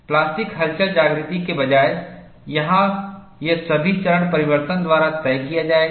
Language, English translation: Hindi, Instead of the plastic wake, here it would all be dictated by the phase transformation